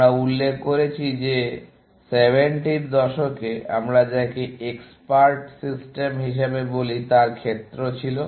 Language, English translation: Bengali, We had mentioned that in the 70s, was the area of what we call as expert systems